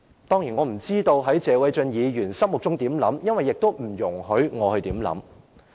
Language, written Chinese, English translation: Cantonese, 當然，我不知謝偉俊議員心中有何想法，因為也不容許我去想。, Certainly I do not know what Mr Paul TSE thinks at heart for I am not in a position to do so